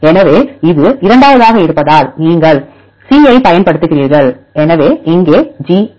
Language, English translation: Tamil, So, it is as it is second one includes you use the c; so here residue GA